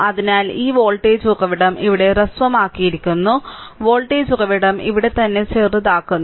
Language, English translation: Malayalam, So, this voltage this voltage source is shorted here, voltage source is shorted here right here